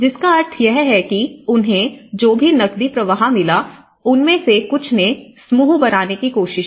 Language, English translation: Hindi, So, which means whatever the cash inflows they have got, some of them they have tried to form into groups